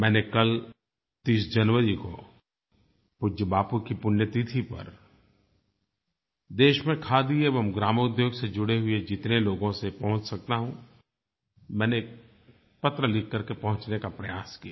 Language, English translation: Hindi, Yesterday on 30th January during the occasion of death anniversary of respectful Bapu, I made an attempt to reach out to as many people associated with khadi and rural industries by writing letters to them